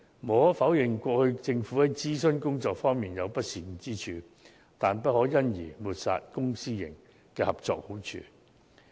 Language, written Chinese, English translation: Cantonese, 無可否認，政府過去在諮詢工作方面確有不善之處，但亦不可因而抹煞公私營合作的好處。, Undeniably the Government does have room for improvement with regard to its previous consultation exercises but the merits of PPP should not be dismissed